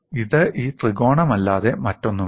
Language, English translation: Malayalam, That is this small triangle, what you see here